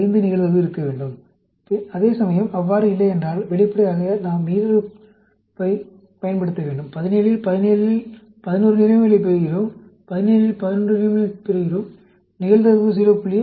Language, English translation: Tamil, 5 for the 17 data; whereas, if not, then obviously, we need to use the binomial; out of 17, out of 17 we get 11 positives; out of 17 we get 11 positives; probability is 0